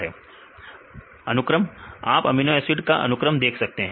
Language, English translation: Hindi, Right you can see the amino acid sequence